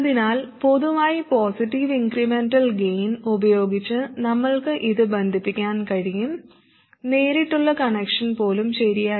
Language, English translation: Malayalam, So we could connect it with a positive incremental gain in general and even a direct connection was okay